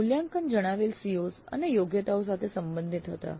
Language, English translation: Gujarati, Then assessments were relevant to the stated COs and competencies